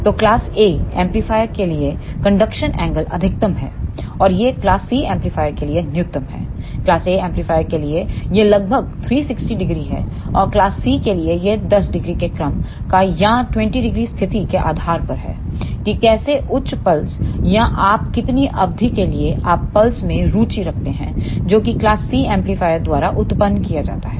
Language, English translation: Hindi, So, the conduction angle is maximum for class A amplifier and it is minimum for class C amplifier, for class A amplifier it is around 360 degree and for class C it is of the order of 10 degree or 20 degree depending upon the situation how high pulse or for how much duration you are interested in the pulse that is to be generated by class C amplifier